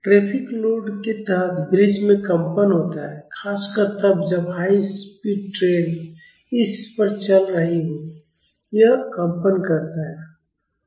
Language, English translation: Hindi, Bridges vibrate under traffic loads especially when high speeds trains are moving over it; it vibrates